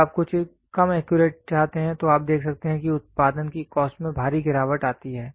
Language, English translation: Hindi, When you want something little less accurate, so then you can see the cost of the production falls down drastically